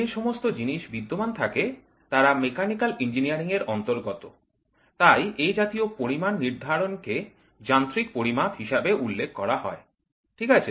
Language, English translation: Bengali, In those things that exists are related to Mechanical Engineering, then the determination of such amounts are referred as mechanical measurements, ok